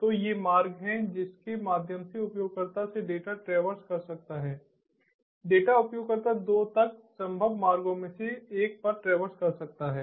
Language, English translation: Hindi, so these are the routes through which the data can can traverse from the user the data can traverse